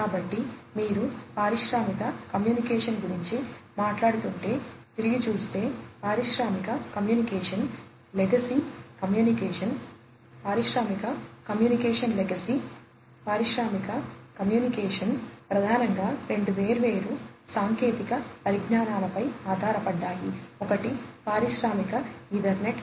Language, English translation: Telugu, So, looking back if you are talking about industrial communication; industrial communication legacy industrial communication was primarily, based on two different technologies; one is the Industrial Ethernet, and the second one is the field bus technology